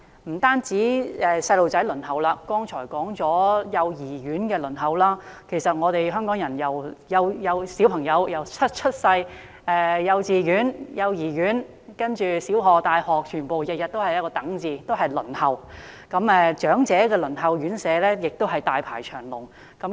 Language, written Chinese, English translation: Cantonese, 不單兒童要輪候——剛才指出了幼兒園的輪候情況——其實香港的小朋友由出生、入讀幼兒園、幼稚園、小學、大學全都要輪候，到輪候長者院舍時亦大排長龍。, As children they have to wait I mentioned the wait for child care centre services just now . As a matter of fact after birth children in Hong Kong have to wait for everything from a place in nursery kindergarten primary school and university to a place in residential care homes for the elderly when they get old